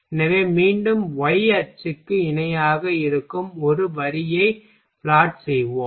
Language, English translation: Tamil, So, again we will plot one line that will be parallel to y axis ok